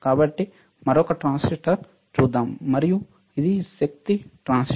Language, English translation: Telugu, So, let us see one more transistor, and this is the power transistor